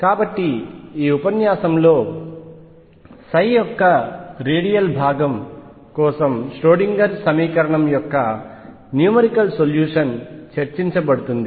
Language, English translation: Telugu, So, this lecture is going to be devour it to numerical solution of the Schrödinger equation for the radial component of psi